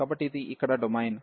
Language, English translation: Telugu, So, this is the domain here